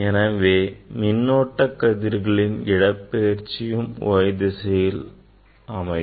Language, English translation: Tamil, displacement of the electron beam we got along the y axis